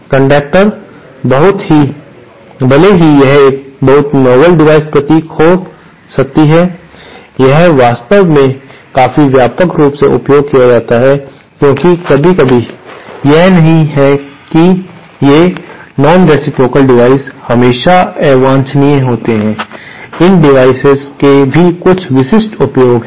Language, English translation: Hindi, Circulator, even though it might appear to be a very novel device, it is actually quite extensively used because sometimes, it is not that these nonreciprocal devices are always undesirable, there are some very specific uses of these devices